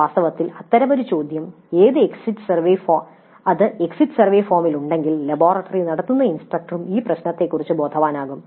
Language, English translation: Malayalam, In fact such a question if it is there in the exit survey form an instructor conducting the laboratory would also be sensitized to this issue